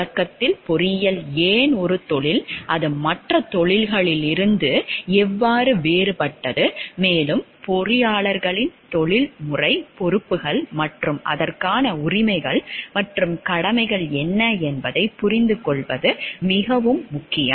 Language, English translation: Tamil, At the start it is very important to understand why engineering is a profession, how it is different from other professions, and also what are the professional responsibilities of the engineers and their rights and duties towards it also